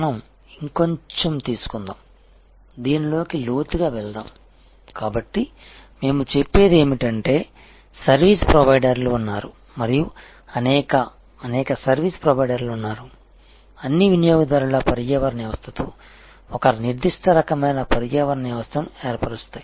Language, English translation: Telugu, Let us take some more let us go deeper into this, so what we are saying is that there are service providers and there are many, many service providers they all forms certain kind of an ecosystem with an ecosystem of customers